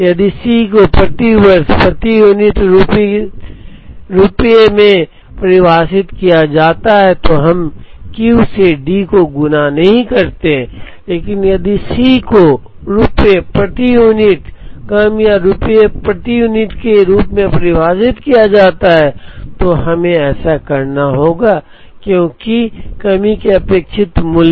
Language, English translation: Hindi, If C s is defined as rupees per unit per year then, we do not multiply by D by Q but, if C s is defined as rupees per unit short or rupees per unit then, we have to do that because expected value of the shortage